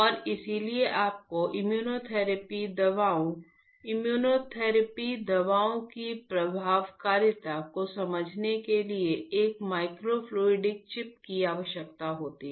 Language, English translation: Hindi, And, that is why you require a microfluidic chip for understanding the immunotherapy drugs, efficacy of the immunotherapy drugs